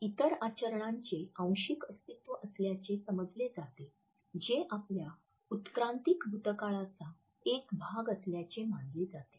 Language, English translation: Marathi, Others are thought to be partial survival of other behaviors, which are believed to have been a part of our evolutionary past